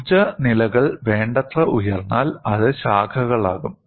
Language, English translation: Malayalam, When the energy levels are sufficiently high, it branches out